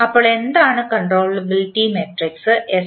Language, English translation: Malayalam, So, what is the controllability matrix S